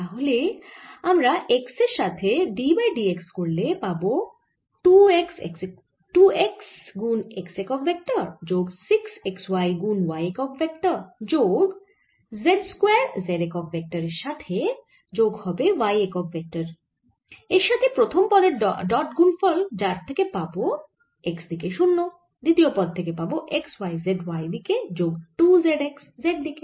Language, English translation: Bengali, x will give me two x, x unit direction plus six y, z in y direction, plus z square in z direction, plus y unit vector dotted with: first term gives me zero in the x direction